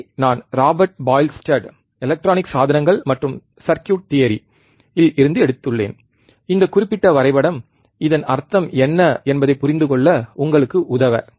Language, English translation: Tamil, this I have taken from Robert Boylestad, Electronic Devices and Circuit Theory, this particular graph, just to help you understand what exactly this means